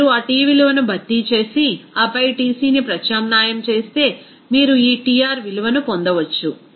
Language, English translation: Telugu, If you substitute that T value and then substitute the Tc, you can get this Tr value